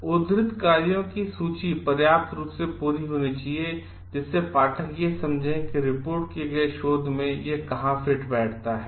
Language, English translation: Hindi, List of works cited should be sufficiently complete to allow readers to understand where the reported research fits in